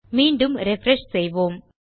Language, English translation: Tamil, So lets refresh that again